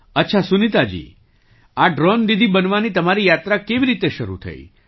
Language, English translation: Gujarati, Okay Sunita ji, how did your journey of becoming a Drone Didi start